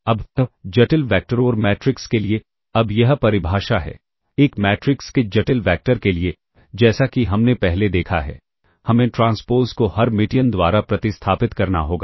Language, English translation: Hindi, Now for complex, for complex vectors or matrices as we have seen before; we have to replace the transpose by the Hermitian